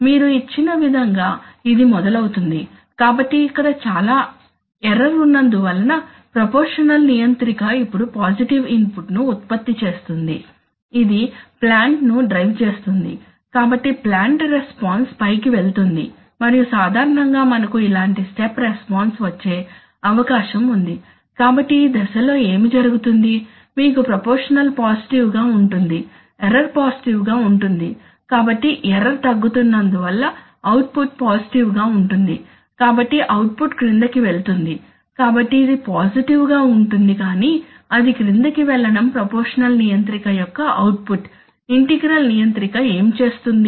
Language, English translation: Telugu, So the process starts from here, it starts, so as you have given, so here there is a lot of error so the proportional controller now generates a positive input, which drives the plant, so the plant goes up and typical, we are likely to get a step response like this, so what happens during this phase, during this phase, during this phase you have proportional is positive, error is positive, so output is positive but since the error is decreasing, so the output is going down, so it is positive but going down that is the output of the proportional controller, what does the integral controller do